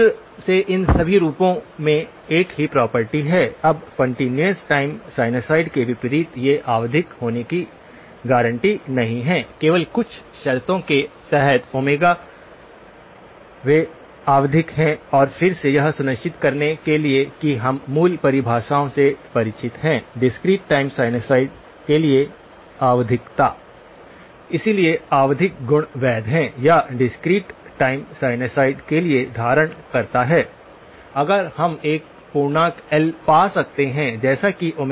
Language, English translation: Hindi, Again, all of these forms are have the same property now, unlike continuous time sinusoids these are not guaranteed to be periodic, only under certain conditions on omega they are periodic and again this one to make sure that we are familiar with the basic definitions of periodicity for the discrete time sinusoids, so periodic properties is valid or holds for a discrete time sinusoids, if we can find an integer L such that Omega naught L is equal to some multiple of 2 pi; integer multiple of 2 pi